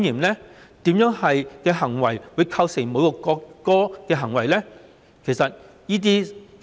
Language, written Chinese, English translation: Cantonese, 哪些行為會構成侮辱國歌呢？, What behaviours would constitute an insult to the national anthem?